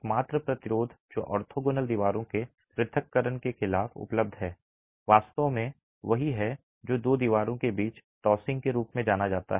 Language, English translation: Hindi, The only resistance that is available against the separation of orthogonal walls is really what is referred to as the tothing between the two things between the two walls